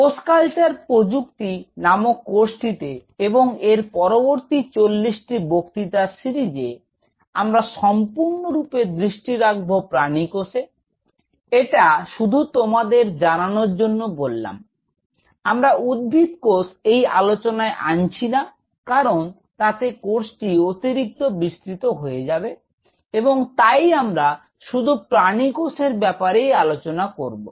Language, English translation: Bengali, Here, I will just take a slight for you course title is cell culture technology and in this particular next series of 40 lectures, we will be exclusively concentrating on animal cells, this is just for your note; we are not taking plant cells into consideration here because that will become way too diverse we will talk only about animal cells